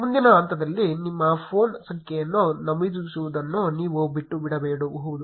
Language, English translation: Kannada, You may skip entering your phone number in the next step